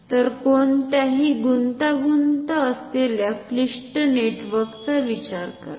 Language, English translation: Marathi, So, think of very complicated network as a complicated as you can think of